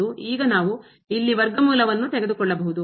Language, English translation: Kannada, And now, we can take the square root here